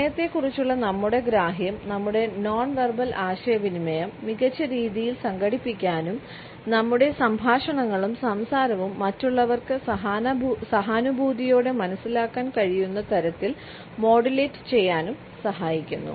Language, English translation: Malayalam, Our understanding of time helps us to organize our nonverbal communication in a better way and to modulate our dialogue and conversations in such a way that the other people can also empathetically understand it